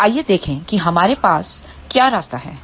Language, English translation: Hindi, So, let us see what is the path we have